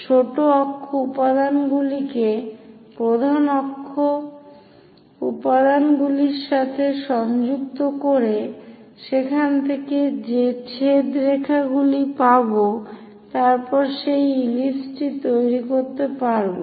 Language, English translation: Bengali, Connect minor axis elements with major axis elements and get the intersection lines from there construct this ellipse